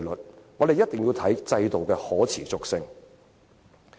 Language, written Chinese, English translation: Cantonese, 因此，我們必須考慮制度的可持續性。, Hence we must take into consideration the sustainability of the universal retirement protection system